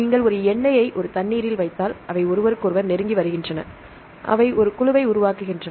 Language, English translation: Tamil, If you put an oil in a water the oil they tend to come close each other, they form a group